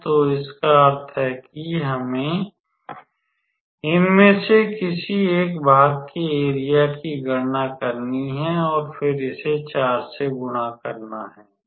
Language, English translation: Hindi, So, it basically means that we have to calculate the area of any one of these parts and then multiply it by 4